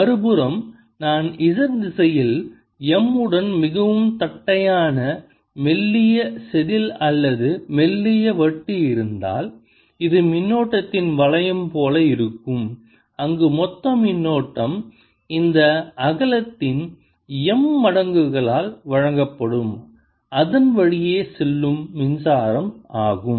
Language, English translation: Tamil, on the other hand, if i have a very flat, thin wafer like or thin disc like thing, with m in z direction, this will be like a ring of current where the total current will be given by m times this width d